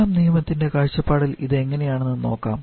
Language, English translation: Malayalam, Now let us look at form second law perspective